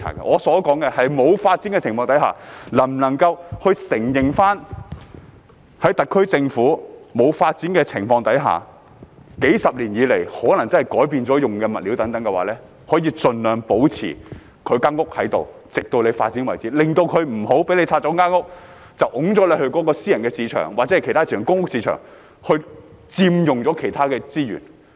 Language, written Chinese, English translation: Cantonese, 我要說的是，在沒有發展的情況之下，特區政府可否承認數十年來使用的物料可能真的改變了，盡量保留房屋，直至發展為止，以免居民在房屋清拆後被推到私人、公屋或其他市場，因而佔用了其他資源？, What I want to say is that in the absence of development can the SAR Government try its best to retain the structures until development takes place while acknowledging that the materials used may have really been changed over the past few decades so that the residents will not be pushed to the private public or other housing markets after the demolition of their homes consequently taking up other resources?